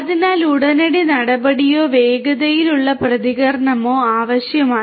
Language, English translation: Malayalam, So, there is a need for immediate action or quicker response